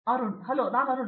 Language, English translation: Kannada, Hello, I am Arun